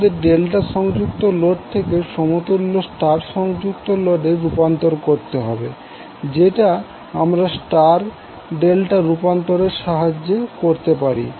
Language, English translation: Bengali, So in that case what you have to do, you have to convert delta connected load into equivalent star connected load which we can do with the help of star delta transformation